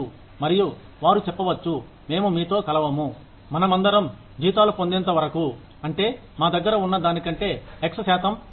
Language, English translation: Telugu, And, they will say, we will not join you, till all of us get a salary, that is x percent higher than, what you have offered us